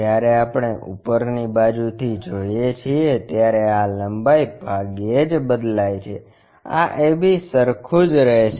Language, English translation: Gujarati, When we are looking from top view this length hardly changed, this AB remains same